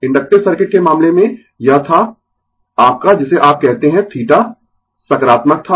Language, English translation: Hindi, In the case of inductive circuit, it was your what you call theta was positive